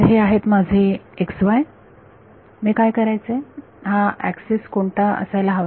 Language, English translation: Marathi, So, this is my x y what should I what should this axis be